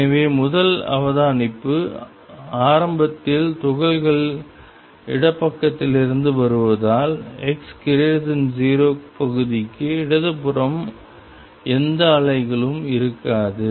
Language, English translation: Tamil, So, first observation since initially the particles are coming from the left there will be no waves going to the left for x greater than 0 region